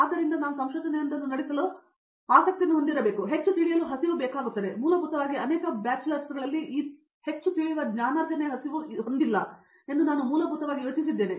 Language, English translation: Kannada, So, because I basically had an idea that for doing research we must have that in born interest to do research, that need the hunger to learn more and I basically did not have that in many bachelors